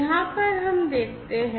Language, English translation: Hindi, Over here let us look at